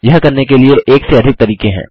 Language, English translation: Hindi, There are more that one method for doing it